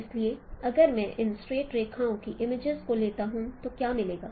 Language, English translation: Hindi, So if I take the images of these straight lines what we will get